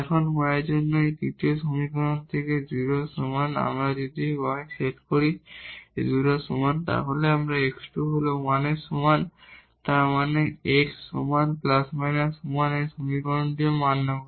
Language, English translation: Bengali, Now, for this y is equal to 0 from this third equation when we set y is equal to 0 here we have x square is equal to 1; that means, x is equal to plus minus 1 this equation is also satisfied